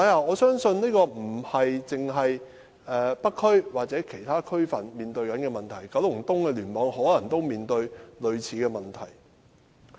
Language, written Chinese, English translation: Cantonese, 我相信這不單是北區或其他區分面對的問題，九龍東的聯網也可能面對類似的問題。, I believe not only the North District and other districts encounter this problem KEC may also encounter a similar problem